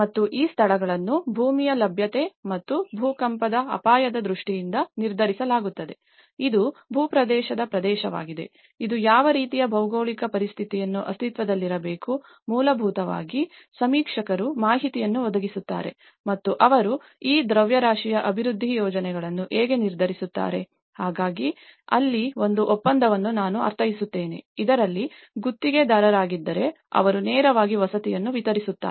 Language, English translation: Kannada, And these locations are determined by availability of land and safety, in terms of earthquake risk, it is a terrain area, is a what kind of geological conditions to exist so, basically the surveyors provide the information and that is how they decide on these mass development projects, so that is where a contract I mean, if contractors in this, they directly deliver the housing